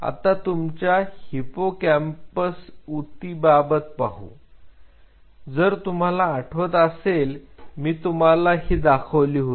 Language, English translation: Marathi, Now your hippocampus if you look at the tissue if you remember when I showed you the tissue